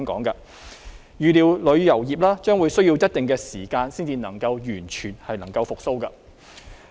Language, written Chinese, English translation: Cantonese, 預料旅遊業將需要一定時間才能夠完全復蘇。, It is anticipated that the tourism industry needs some time to achieve a complete recovery